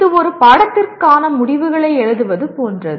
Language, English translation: Tamil, It is like writing outcomes for a course